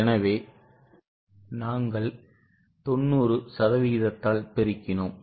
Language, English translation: Tamil, So, we have multiplied by 90% which comes to 858